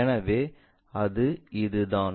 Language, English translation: Tamil, So, it will be that